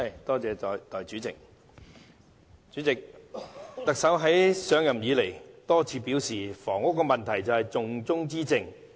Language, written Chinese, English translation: Cantonese, 代理主席，特首上任以來多次表示，房屋問題是重中之重。, Deputy President the Chief Executive has stated repeatedly since his assumption of office that tackling the housing problem is amongst the top priorities